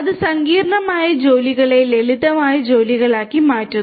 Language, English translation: Malayalam, And it makes the complex tasks into simpler tasks